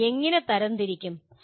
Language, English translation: Malayalam, How do you categorize